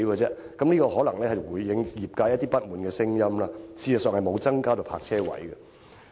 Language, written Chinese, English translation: Cantonese, 此舉可能會稍稍紓緩業界不滿的聲音，實際卻沒有增加泊車位。, While the proposal may slightly alleviate the discontent of the industry it cannot create additional parking spaces